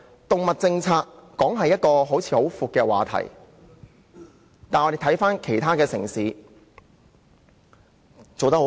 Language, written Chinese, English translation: Cantonese, 動物政策雖然是個很廣闊的議題，但其他城市是做得很好的。, Yes animal policies are a very broad topic but we should know that other cities have already done a very good job